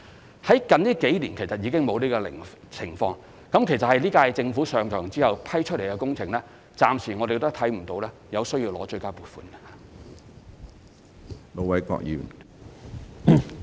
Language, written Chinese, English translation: Cantonese, 不過，最近數年已再無出現這種情況，其實在本屆政府任期內批出的工程，均暫時未有出現需要爭取追加撥款的情況。, However we have no longer encountered such a situation over the last few years and there is in fact no need so far to seek additional funding for works contracts awarded within the term of office of the current - term Government